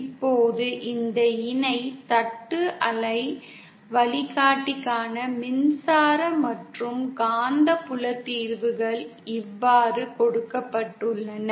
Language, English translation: Tamil, Now the electric and magnetic field solutions for this parallel plate waveguide are given like this